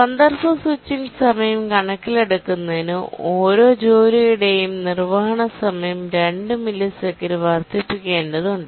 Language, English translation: Malayalam, To take the context switching time into account, we need to increase the execution time of every task by 2 milliseconds